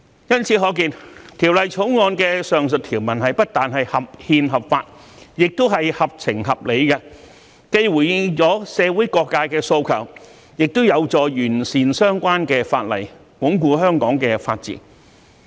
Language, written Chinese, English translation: Cantonese, 由此可見，《條例草案》的上述條文不但合憲合法，亦合情合理，既回應了社會各界的訴求，亦有助完善相關法例，鞏固香港的法治。, It can thus be seen that the above provisions of the Bill are not only constitutional and lawful but also sensible and justifiable . While giving a response to the demands of various sectors of the community they are also conducive to improving the relevant legislation so as to reinforce Hong Kongs rule of law